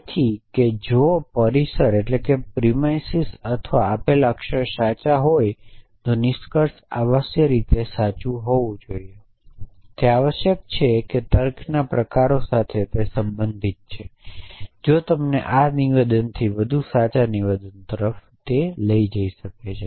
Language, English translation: Gujarati, So, that if the premises or the given or the axioms are true then the conclusion man net must necessarily be true logic is concerned with forms of reasoning which take you from true statement to more true statements